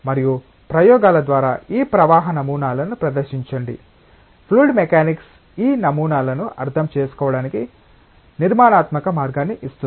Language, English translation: Telugu, And demonstrate these flow patterns through experiments, it is like fluid mechanics gives us a structured way of understanding these patterns